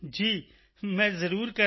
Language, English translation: Punjabi, Yes, I certainly will do